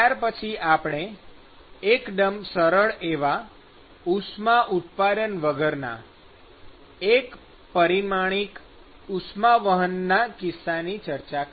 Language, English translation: Gujarati, Then we looked at a very simple case of 1 D conduction, without heat generation